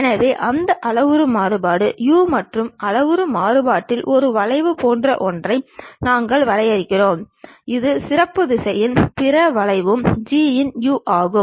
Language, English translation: Tamil, So, that parametric variation is u and on the parametric variation we are defining something like a curve it goes along that the specialized direction and other curve is G of u